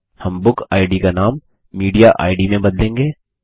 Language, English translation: Hindi, We will rename the BookId to MediaId